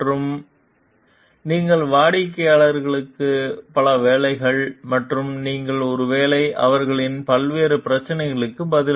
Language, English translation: Tamil, And may, you are working for a number of clients and you are maybe answering to their different problems